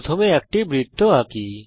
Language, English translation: Bengali, First let us draw a circle